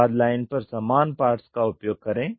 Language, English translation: Hindi, Use common parts across the product line